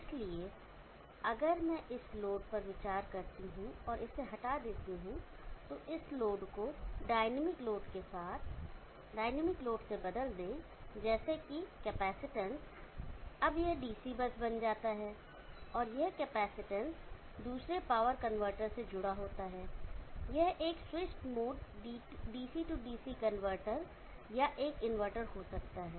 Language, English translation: Hindi, So if I consider this load and remove this replace the load with dynamic this load with the dynamic load consisting of let us say capacitance, now this becomes a DC bus, and that capacitance is connected to another power convertor, it could be a switched mode DC DC convertor or an inverter